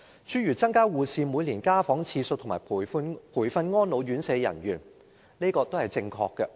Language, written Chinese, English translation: Cantonese, 諸如增加護士每年家訪次數和培訓安老院舍人員等措施，也是正確的。, Measures such as increasing the frequency of home visits by nurses each year and providing training for the staff of residential care homes for the elderly are also correct